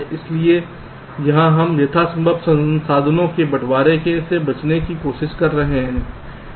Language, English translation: Hindi, so here we are trying to avoid the sharing of resources as much as possible